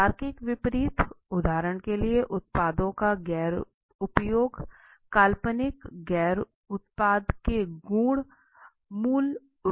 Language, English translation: Hindi, so the logical opposites are for example non usage of the products, attributes of an imaginary non product opposites basically right